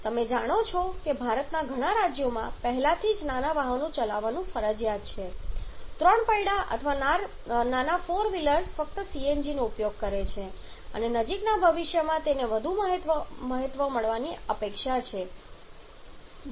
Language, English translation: Gujarati, You know in several states of India it is already mandatory to run smaller vehicles 3 wheelers are smaller four wheelers are using CNG is only and it is expected to gain more importance in near future